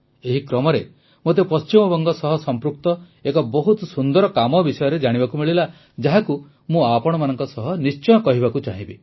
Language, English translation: Odia, In this very context, I came to know about a very good initiative related to West Bengal, which, I would definitely like to share with you